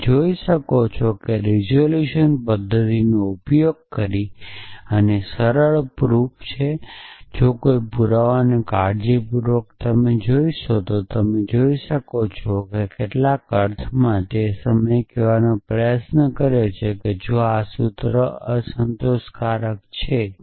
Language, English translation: Gujarati, So, you can see that there is simple proof using the resolution method and if look at a proof carefully you can see that it is trying to in some sense say at the same time that if this formula is to be unsatisfiable